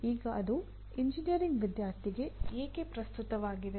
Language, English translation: Kannada, Now why is it relevant to the engineering student